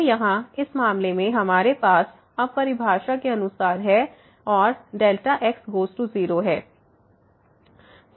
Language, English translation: Hindi, So, here in this case we have as per the definition now and delta goes to 0